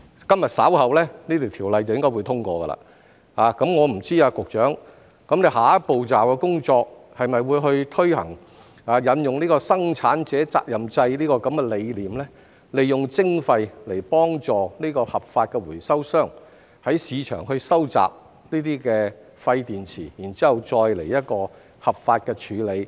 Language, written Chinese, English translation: Cantonese, 今日稍後這項條例草案應該會通過，我不知局長下一步驟的工作是否會推行生產者責任制的理念，利用徵費來幫助合法的回收商在市場收集廢電池，然後再作出合法的處理？, This Bill is likely to be passed later today . I wonder if the Secretarys next step is to implement the concept of the producer responsibility scheme and use the levy to help legitimate recyclers to collect waste batteries in the market and then dispose of them legally